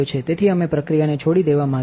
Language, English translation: Gujarati, So, we want to abort the process